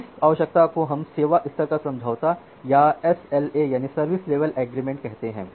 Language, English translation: Hindi, So, this requirement we call it as service level agreement or SLA